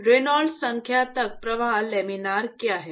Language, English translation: Hindi, Yeah, up to what Reynolds number is the flow laminar